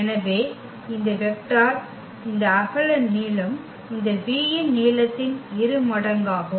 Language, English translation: Tamil, So, that is the vector this width length double of this length of this v